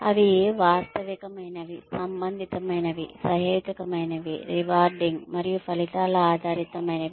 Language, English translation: Telugu, They should be realistic, relevant, reasonable, rewarding, and results oriented